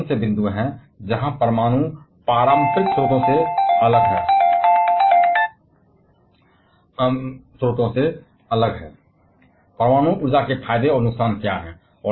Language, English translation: Hindi, What are the points where nuclear is separate from the conventional sources, what are the advantages and disadvantages of nuclear energy